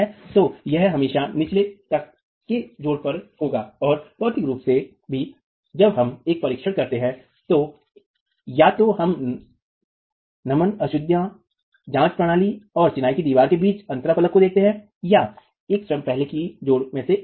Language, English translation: Hindi, So, this will always be at the bottom most bed joint either and physically also when we do a test, we see that it is either the interface between the dam proofing course and the masonry wall or it's one of the first masonry joins themselves